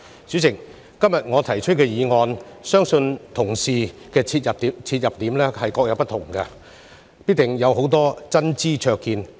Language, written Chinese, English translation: Cantonese, 主席，就我今天提出的議案，相信同事必定會從不同切入點，提出很多真知灼見。, President I believe Members will definitely put forward many insightful views on the motion proposed by me today from different entry points